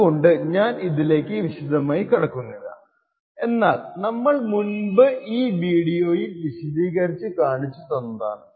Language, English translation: Malayalam, So, I would not go into details about this but giving the fact that what we discussed earlier in this video